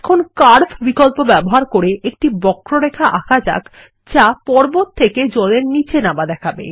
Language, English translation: Bengali, Lets use the option Curve to draw a line that shows water running down the mountains